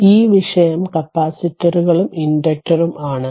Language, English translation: Malayalam, Ok, so let us come to this topic capacitors and inductor